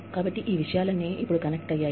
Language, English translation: Telugu, So, all of these things, are connected, now